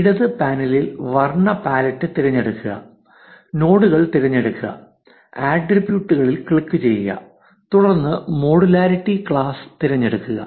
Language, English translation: Malayalam, In the left panel choose the color pallet, select nodes, click on attributes and then select modularity class